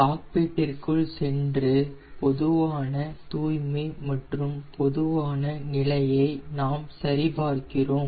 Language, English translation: Tamil, again, going into the cockpit, we check for the general cleanliness and the general condition